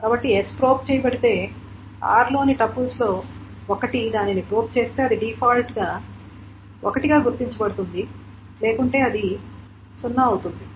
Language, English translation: Telugu, So if S is probed, one of the tuples in R probes it, then this is marked as one, and by default it is otherwise zero